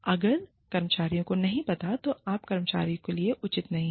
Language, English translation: Hindi, If the employees, do not know, then you are not being fair to the employee